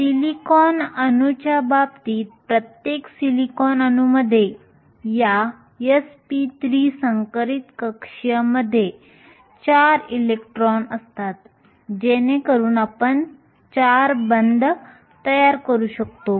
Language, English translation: Marathi, In the case the of a silicon atom, each silicon atom has 4 electrons in these s p 3 hybrid orbitals, so you can form 4 bonds